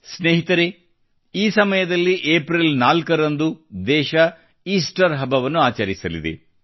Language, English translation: Kannada, Friends, during this time on April 4, the country will also celebrate Easter